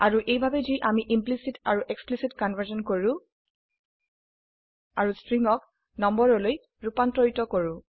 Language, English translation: Assamese, And this is how we do implicit and explicit conversion and How do we converts strings to numbers